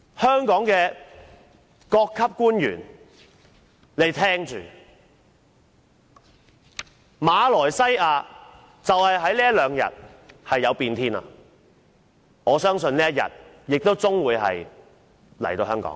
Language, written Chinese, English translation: Cantonese, 香港各級官員請聽着，馬來西亞在這兩天出現變天，我相信香港亦終會有這一天。, Public officers at different levels in Hong Kong should hear this from me Malaysia is undergoing a political change these few days and I am sure the same thing will also happen in Hong Kong one day